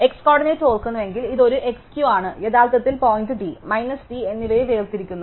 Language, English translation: Malayalam, If the x coordinate is remember this is an x Q are originally separating point plus d and minus d